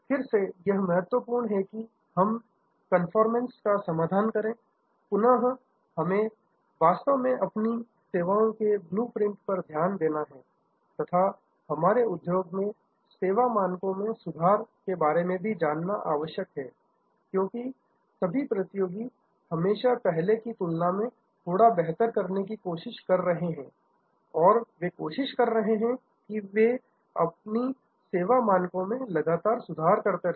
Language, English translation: Hindi, Again, here obvious the solution is conformance, again we have to actually relook at our service blue print, relook at our they ever improving service standard in the industry, because all competitors are always trying to do a bit better than before and they are trying to be one up